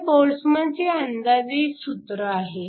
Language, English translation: Marathi, This is a Boltzmann approximation